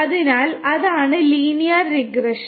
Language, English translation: Malayalam, So, that is the linear regression